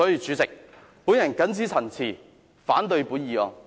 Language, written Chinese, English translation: Cantonese, 主席，我謹此陳辭，反對這項議案。, With these remarks President I oppose the motion